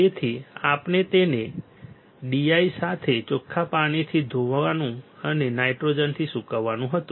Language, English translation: Gujarati, So, we had to rinse it with D I and dry it with nitrogen